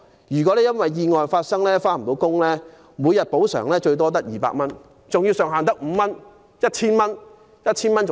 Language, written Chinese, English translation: Cantonese, 如因意外不能上班，每天補償只有200元，上限為5日，即合共 1,000 元。, If a tourist guide or a tour escort is unable to work after an accident he will only have a compensation of 200 per day for up to five days ie . 1,000 in total